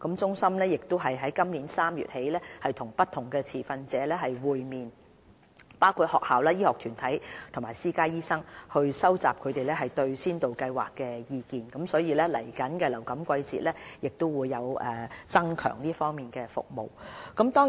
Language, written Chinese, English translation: Cantonese, 中心於今年3月起與不同持份者會面，包括學校、醫學團體及私家醫生等，收集他們對先導計劃的意見，以便在下一個流感季節增強有關服務。, Since March this year CHP has met with various stakeholders including schools health care institutions and private doctors to collect their view on the Pilot Programme with a view to enhancing the vaccination service in the next flu season